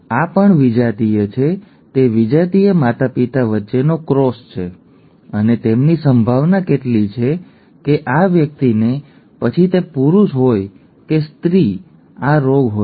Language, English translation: Gujarati, Now this is heterozygous, this is also heterozygous, it is a cross between heterozygous parents and what is their probability that this person, whether male or female would have the disease